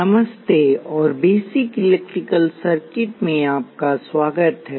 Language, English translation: Hindi, Hello and welcome to Basic Electrical Circuits